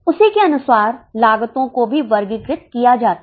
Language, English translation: Hindi, According to that the costs are also classified